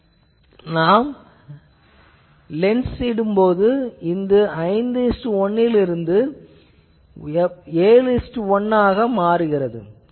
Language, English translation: Tamil, But, then if you put the lens then that becomes 5 is to 1 become 7 is to 1